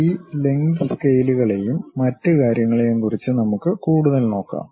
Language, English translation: Malayalam, Let us look at more about these lengths scales and other things